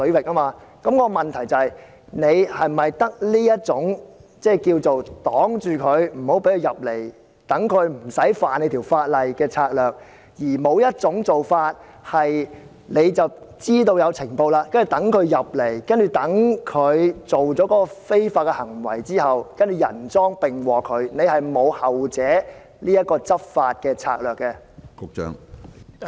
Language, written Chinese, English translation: Cantonese, 我的補充質詢是，當局是否只有這種拒絕入境，讓他們無法觸犯法例的策略，而不會在接獲情報後，讓他們入境和作出非法行為後人贓並獲，是否沒有後者的執法策略？, Here is my supplementary question . Do the authorities have other strategies apart from denying law - breakers entry into the territory to make it impossible for them to violate the laws here? . Will they upon receipt of intelligence catch law - breakers red - handed after they have entered the territory?